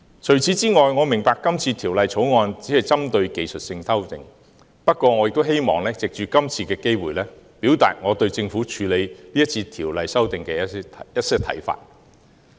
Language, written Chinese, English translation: Cantonese, 此外，我明白《條例草案》只是針對技術性修訂，不過我亦希望藉着今次機會，表達我對政府今次處理《條例草案》的一些看法。, I understand that the Bill only focuses on technical amendments but I would like to take this opportunity to express my views on the approach of the Government in handling the Bill